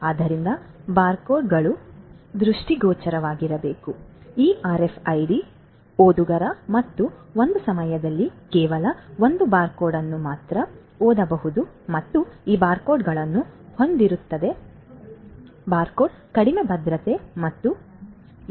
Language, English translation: Kannada, So, barcodes need to be on the line of sight of these RFID readers and only one barcode at a time can be read and these barcodes have less security and hence can be forced